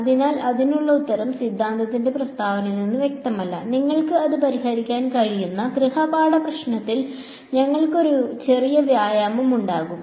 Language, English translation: Malayalam, So, the answer to that is not clear just from the statement of the theorem, we will have a small exercise in the homework problem where you can work it out